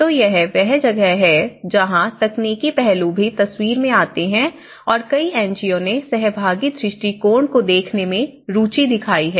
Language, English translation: Hindi, So, that is where the technical aspects also come into the picture and many NGOs have shown interest in looking at the participatory approaches advocacy